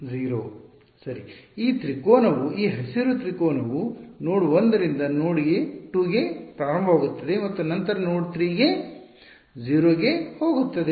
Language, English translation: Kannada, 0; right, this triangle this green triangle is starting from node 1, going to node 2 and then going to 0 at node 3